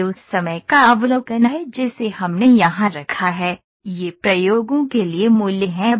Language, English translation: Hindi, So, this is the overview of the timing that we have put here, these are the values for the experiments